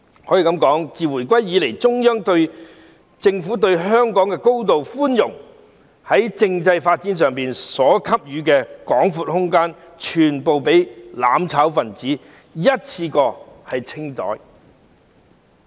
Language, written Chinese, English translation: Cantonese, 可以說，自回歸以來，中央政府對香港高度寬容，在政制發展上所給予的廣闊空間，全部被"攬炒"分子一次過"清袋"。, It can be said that since the handover of sovereignty the Central Government has been exceedingly tolerant towards Hong Kong and given us an expansive space for constitutional development which had all been wiped out in one go by the mutual destruction elements